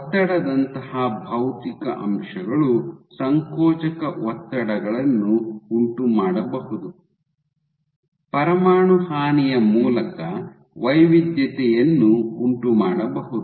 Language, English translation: Kannada, It is possible that physical factors like pressure, can induce compressive stresses can induce heterogeneity through nuclear damage